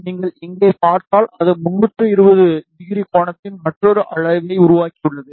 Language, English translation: Tamil, If you see here, it has created another arc of 320 degree angle